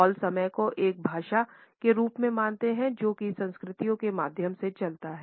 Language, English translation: Hindi, Hall has treated time as a language, as a thread which runs through cultures